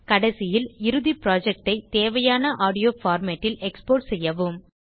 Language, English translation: Tamil, Finally, export the final project to the required audio format i.e